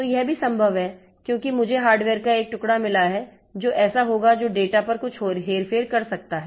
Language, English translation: Hindi, So, this is also possible because I have got a piece of hardware which will be, which can do some manipulation on the data